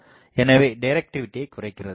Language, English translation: Tamil, So, reduces directivity